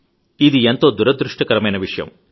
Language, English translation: Telugu, This is very unfortunate